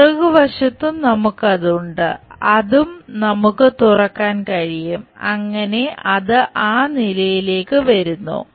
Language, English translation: Malayalam, The back side also we have that, that also we can unfold it so that it comes to that level